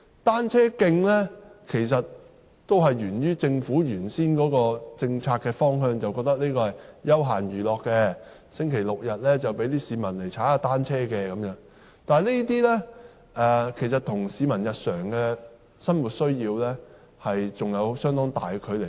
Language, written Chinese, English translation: Cantonese, 單車徑的設立沿於政府最初的政策方向，認為單車是休閒娛樂工具，市民只在星期六、日踏單車，但這種看法其實與市民日常的生活需要有着相當大的距離。, Cycle tracks were first provided according to the Governments initial policy direction formulated on the understanding that cycling was a recreation and the public only cycled during weekends . In fact there is a huge gap in the Governments understanding of the daily needs of the people